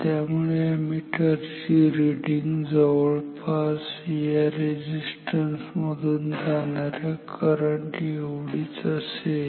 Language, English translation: Marathi, So, then the ammeter reading will be almost same as the current through the resistance